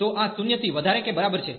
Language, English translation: Gujarati, So, this is greater than equal to 0